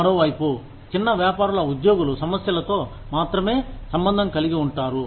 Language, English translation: Telugu, On the other hand, small businesses are only concerned with, employee issues